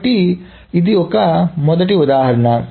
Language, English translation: Telugu, So that is the first example